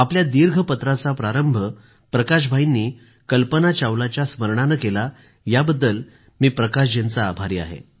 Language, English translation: Marathi, I am thankful to Bhai Prakash ji for beginning his long letter with the sad departure of Kalpana Chawla